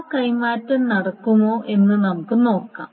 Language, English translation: Malayalam, So let us see if that swap can be happening